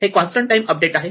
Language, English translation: Marathi, It is a constant time update